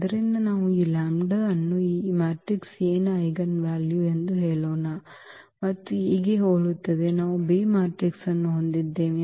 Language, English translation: Kannada, So, what we take that let us say this lambda is the eigenvalue of this matrix A and the similar to A, we have the B matrix